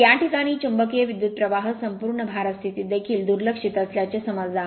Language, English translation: Marathi, So, in this case the magnetizing current is suppose the magnetizing current is neglected even under full load condition